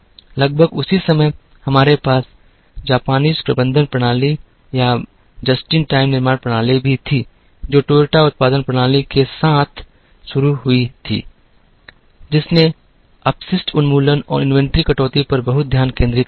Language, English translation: Hindi, About the same time, we also had the Japanese management systems or just in time manufacturing systems, which started with the Toyota production system, which concentrated a lot on waste elimination and inventory reduction